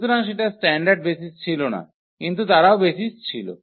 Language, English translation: Bengali, So, that was not the standard basis, but they were also the basis